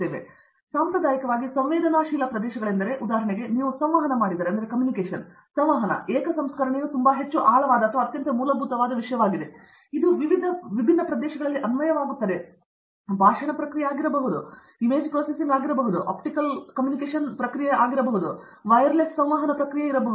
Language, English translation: Kannada, So, yes, there are different traditionally sensitive areas, if you take about for example, Communication, single processing is one of the very, very profound or the very basic subject, which gets applied in multiple different areas, it could be speech processing, it could be image processing, it could be processing for optical communication, it could be a processing for wireless communication